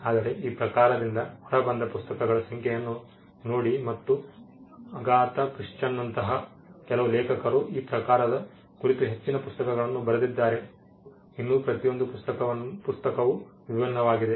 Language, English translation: Kannada, But look at the number of books that has come out of this genre and look at the number of authors some authors like Agatha Christie she has written most of her books on this genre and still each book is different